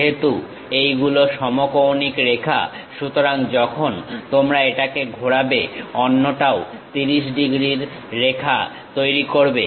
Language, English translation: Bengali, Because these are orthogonal lines; so when you are rotating it, the other one also makes 30 degrees line